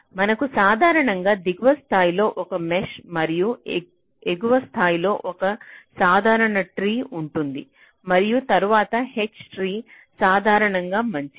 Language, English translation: Telugu, so we normally have a mesh in the lower level and a regular tree at the upper level and then a h tree, usually ok, fine